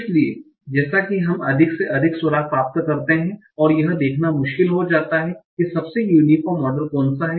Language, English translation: Hindi, How do we, so as we get more and more clues, it becomes difficult to see which is the most uniform model